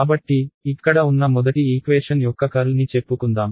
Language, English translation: Telugu, So, we can take let us say the curl of the first equation over here right